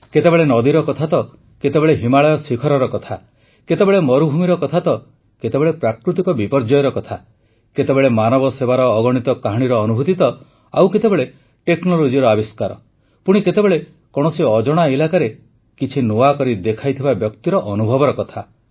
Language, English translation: Odia, At times, there was reference to rivers; at other times the peaks of the Himalayas were touched upon…sometimes matters pertaining to deserts; at other times taking up natural disasters…sometimes soaking in innumerable stories on service to humanity…in some, inventions in technology; in others, the story of an experience of doing something novel in an unknown corner